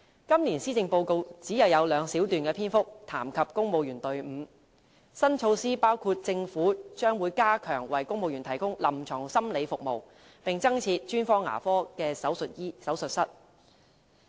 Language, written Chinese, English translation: Cantonese, 今年施政報告只有兩小段的篇幅談及公務員隊伍，新措施包括政府將會加強為公務員提供臨床心理服務，並增設專科牙科手術室。, There are only two small paragraphs in the Policy Address this year about the Civil Service stating that new measures will be implemented including the strengthening of the clinical psychology service for civil servants and the setting up of additional specialized dental surgeries